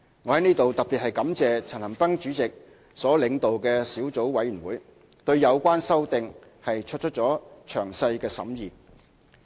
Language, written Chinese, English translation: Cantonese, 我在此特別感謝陳恒鑌主席所領導的小組委員會，對有關修訂作出了詳細的審議。, I would like to extend my special thanks to the subcommittee under the chairmanship of Mr CHAN Han - pan for its meticulous scrutiny of the amendments